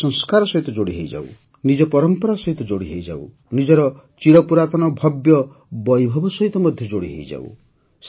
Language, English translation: Odia, We get connected with our Sanskars, we get connected with our tradition, we get connected with our ancient splendor